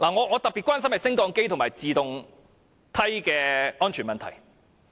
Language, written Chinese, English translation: Cantonese, 我特別關心升降機及自動梯的安全問題。, I am particularly concerned about the safety of lifts and escalators . Targets are set in this respect